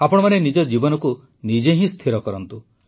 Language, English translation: Odia, Decide and shape your life yourself